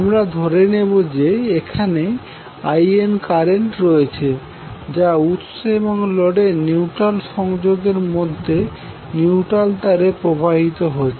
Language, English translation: Bengali, We will also assume there is some current IN which is flowing in the neutral wire connecting neutral of the source to neutral of the load